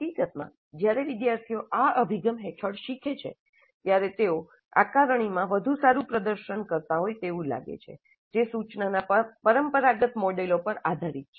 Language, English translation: Gujarati, In fact, when the students learn under this approach, they seem to be performing better in the assessments which are based on the traditional models of instruction